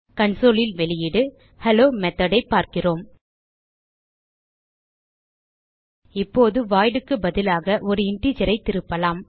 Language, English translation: Tamil, We see the output Hello Method on the console Now let us return an integer instead ofvoid